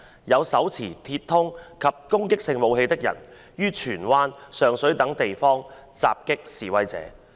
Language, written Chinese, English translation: Cantonese, 有手持鐵通及攻擊性武器的人於荃灣、上水等地方襲擊示威者。, Persons wielding metal poles and offensive weapons attacked protesters at such places as Tsuen Wan and Sheung Shui